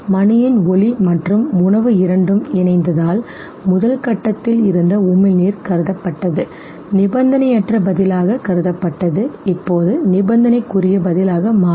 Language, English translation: Tamil, And because sound of the bell and the food both got associated and therefore the salivation which was actually initially in the first step was considered, considered as unconditioned response now becomes conditioned response